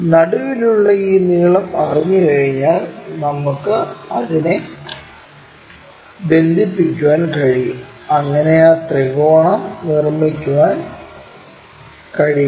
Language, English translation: Malayalam, Once we know that this length which is at middle the same thing we can connect it, so that we can make that triangle